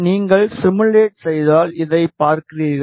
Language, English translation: Tamil, If you simulate, you see this